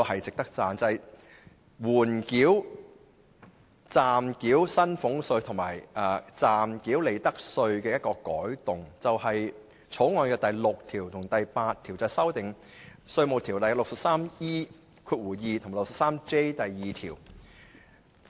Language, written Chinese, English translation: Cantonese, 就暫繳薪俸稅及利得稅的緩繳，《條例草案》第6及8條修訂《稅務條例》第 63E2 及 63J2 條。, Regarding the holding over of payment of provisional salaries tax and provisional profits tax clauses 6 and 8 of the Bill seek to amend sections 63E2 and 63J2 of the Inland Revenue Ordinance